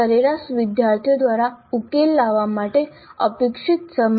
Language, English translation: Gujarati, Time expected to be taken to solve by an average student